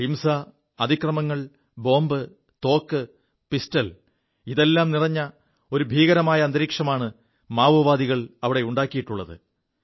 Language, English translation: Malayalam, Violence, torture, explosives, guns, pistols… the Maoists have created a scary reign of terror